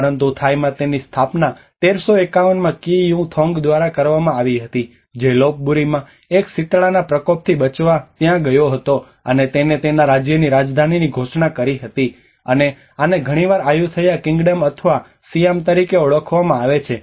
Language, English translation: Gujarati, But in Thai it has been founded in 1351 by King U Thong who went there to escape a smallpox outbreak in Lop Buri and proclaimed it the capital of his kingdom, and this is often referred as Ayutthaya kingdom or Siam